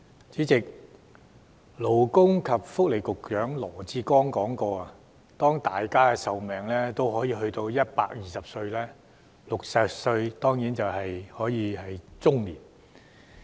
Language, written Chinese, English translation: Cantonese, 主席，勞工及福利局局長羅致光說過，當大家的壽命都有120歲時 ，60 歲只是中年。, President Secretary for Labour and Welfare LAW Chi - kwong once said that when everyone can live to 120 years of age 60 years is only middle age